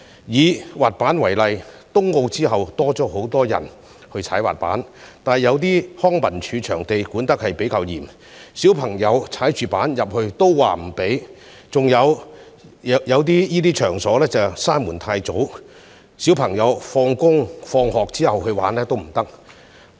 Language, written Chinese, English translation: Cantonese, 以滑板為例，在東京奧運後，多了很多人滑滑板，但康樂及文化事務署有些場地管理較嚴，不准小朋友滑滑板進內，另一些同類場地則太早關門，小朋友放學後已無法進入玩滑板。, For example despite the huge increase in skateboarders after the Tokyo Olympic Games children are not allowed to skateboard in certain venues under the strict management of the Leisure and Cultural Services Department . Other similar venues though available close early and keep child skateboarders out after school